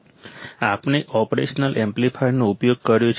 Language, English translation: Gujarati, We have used an operational amplifier